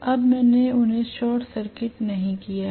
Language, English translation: Hindi, Now I have not short circuited them